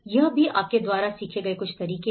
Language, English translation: Hindi, This has been also, some of the methods you have learnt